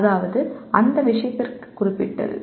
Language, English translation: Tamil, That means specific to that subject